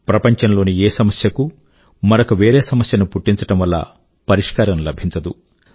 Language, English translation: Telugu, No problem in the world can be solved by creating another problem